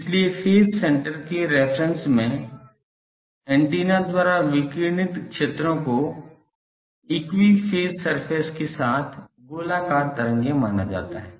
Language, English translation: Hindi, So, when reference to the phase center the fields radiated by the antenna are considered to be spherical waves with equi phase surfaces